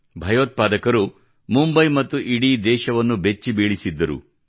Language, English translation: Kannada, Terrorists had made Mumbai shudder… along with the entire country